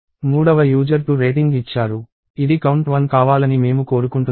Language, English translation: Telugu, The third user gave 2; I want this to be a count of one